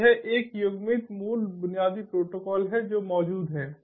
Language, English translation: Hindi, so its a paired pone ah basic protocol that exists